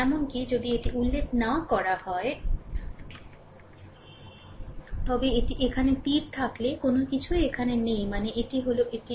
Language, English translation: Bengali, Even if it is not mentioned, but any if it is arrow here nothing is here means this is plus, this is minus